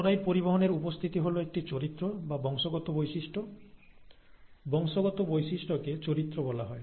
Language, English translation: Bengali, The presence of the chloride transporter is a character or a heritable feature, okay